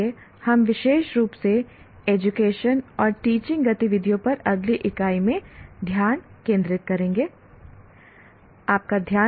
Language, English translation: Hindi, So we will be specifically focusing in the next unit on the activities, education and teaching